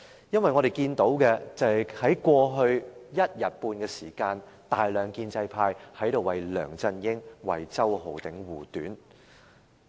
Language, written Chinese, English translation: Cantonese, 因為過去一天半的時間，大量建制派議員在這裏為梁振英、為周浩鼎議員護短。, In the past one and a half days many pro - establishment Members have defended the wrongdoings of LEUNG Chun - ying and Mr Holden CHOW